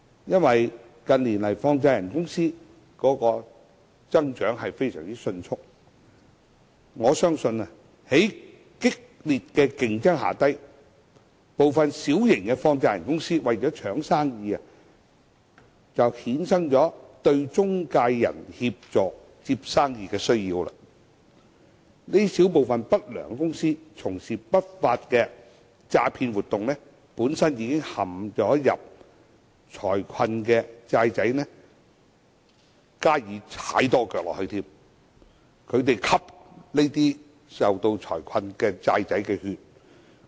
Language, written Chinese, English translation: Cantonese, 由於近年放債人公司增長迅速，我相信在激烈競爭下，部分小型放債人公司為了爭生意，便衍生了對中介人協助接生意的需要，這小部分不良公司從事不法的詐騙活動，向本身已陷財困的"債仔"再多踩一腳，吸財困"債仔"的血。, Given the proliferation of money lenders in recent years I think driven by fierce competition some small - scale money lenders may have to compete for business thus giving rise to the need to engage intermediaries to help solicit business for them . A small number of unscrupulous companies have therefore engaged in fraud activities giving one more kick to debtors who are already caught in financial problems and sucking the blood of debtors in distress